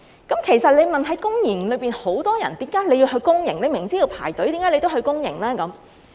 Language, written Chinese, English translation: Cantonese, 有人會問，公營系統有很多病人，他們明知要排隊，為何要去公營呢？, Some people may ask There are many patients in the public system why do they use the public system when they know about the wait?